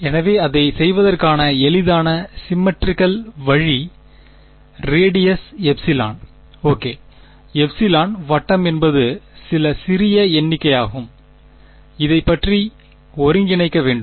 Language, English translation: Tamil, So, the easiest symmetrical way of doing it is to have a circle of radius epsilon ok epsilon is some small number and integrate about this